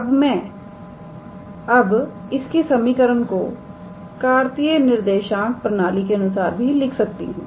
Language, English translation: Hindi, Now, I can also write this equation in terms of the in terms of the Cartesian coordinate system